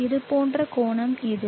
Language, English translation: Tamil, as shown this angle